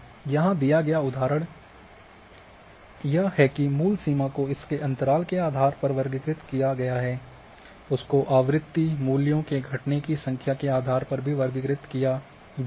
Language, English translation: Hindi, So, here the example are given that this is the original limit it has been classified based on the interval, it is classified based on the frequency, number of occurrence of values